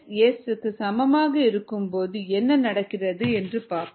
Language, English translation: Tamil, let us look at what happens when k s equals s